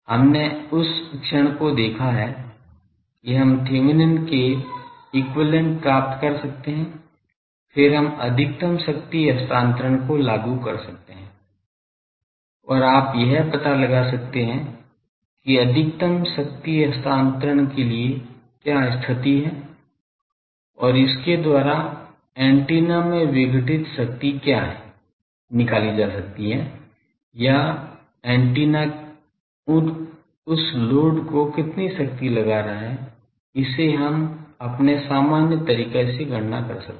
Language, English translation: Hindi, We have seen the moment to have found that we can found Thevenin’s equivalent, then we can apply maximum power transfer and you can find out what is the condition for maximum power transfer and, by that we can have what is the power dissipated in the antenna etc